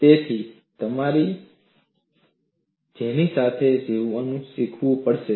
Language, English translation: Gujarati, So, you have to learn to live with that